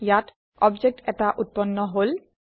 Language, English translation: Assamese, Here an object gets created